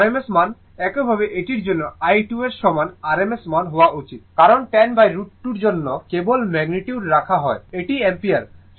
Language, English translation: Bengali, It rms value similarly for this one you do that i 2 should be is equal to it is rms value, for your 10 by root 2 only magnitude you are putting, this is the ampere, right